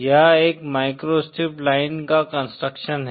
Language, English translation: Hindi, This is the construction of a microstrip line